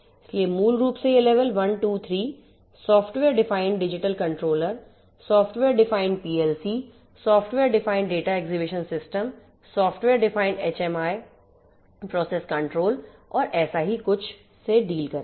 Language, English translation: Hindi, So, basically these levels 1 2 3 will deal with stuff like you know software defined digital controllers, software defined digital controllers, software defined PLCs, software defined data acquisition systems, software defined HMI process control and so on